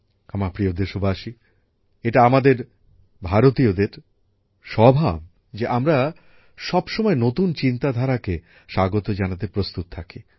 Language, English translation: Bengali, My dear countrymen, it is the nature of us Indians to be always ready to welcome new ideas